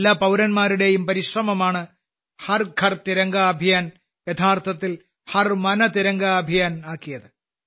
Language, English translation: Malayalam, The efforts of all the countrymen turned the 'Har Ghar Tiranga Abhiyan' into a 'Har Man Tiranga Abhiyan'